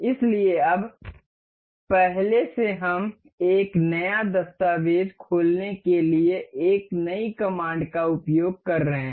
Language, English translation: Hindi, So now, from now earlier we have been using this new command to open a new document